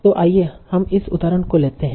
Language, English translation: Hindi, So let's take this example problem